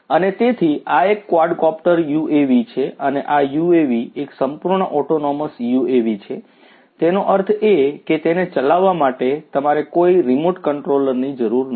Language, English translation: Gujarati, And, so, this is a quadcopter UAV and this UAV is a fully autonomous UAV; that means, that you do not need any remote control to operate it